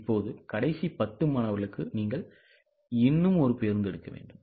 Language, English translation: Tamil, Now, because just for last 10 students, you have to take one more bus